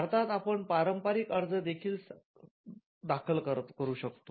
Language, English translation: Marathi, In India, you can also file, a convention application